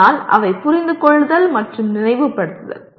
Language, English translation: Tamil, But they are in Understand and Remember category